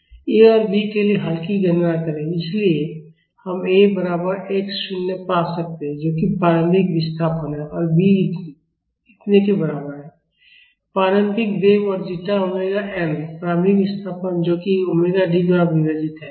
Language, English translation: Hindi, Calculate solve for A and B, so, we can find A is equal to x 0 which is the initial displacement and B is equal to this much, initial velocity plus zeta damping ratio omega n and initial displacement divided by omega D